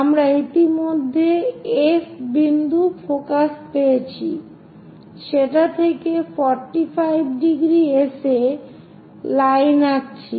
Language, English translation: Bengali, We have already this F point focus draw a line at 45 degrees